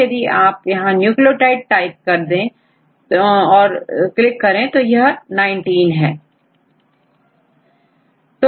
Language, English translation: Hindi, So, if you click on the nucleotide type